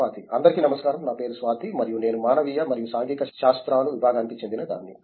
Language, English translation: Telugu, Hello my name is Swathi and I am from the Department of Humanities and Social Sciences